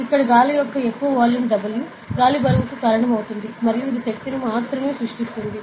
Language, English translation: Telugu, So, this much volume of air over here will cause a weight of W air and this will create a force only